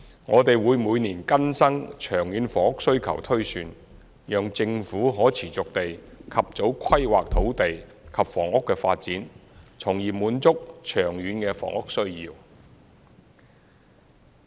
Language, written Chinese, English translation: Cantonese, 我們會每年更新長遠房屋需求推算，讓政府可持續地及早規劃土地及房屋的發展，從而滿足長遠的房屋需要。, We update the long - term housing demand projection annually so that the Government can have early planning for land and housing development on a sustained basis with a view to satisfying the long - term housing needs